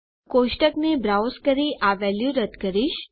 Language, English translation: Gujarati, I am going to browse our table and delete this value